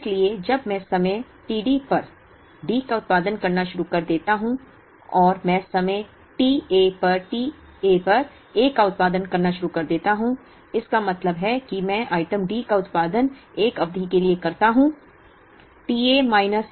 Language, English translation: Hindi, So, when I start producing D here at time t D and I start producing A at t A, then it means I produce item D for a period t A minus t D